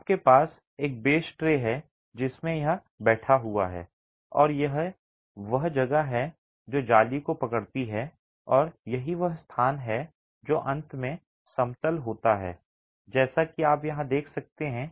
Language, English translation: Hindi, You have a base tray in which this is seated and that is what holds the lattice and that's the space that's finally concreted